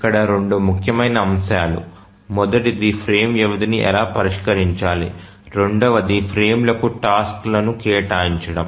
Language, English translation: Telugu, Two important aspects here, one is how to fix the frame duration, the second is about assigning tasks to the frames